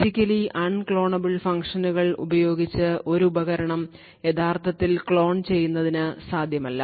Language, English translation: Malayalam, So, using Physically Unclonable Functions, it is not possible to actually clone a device and therefore, you get much better security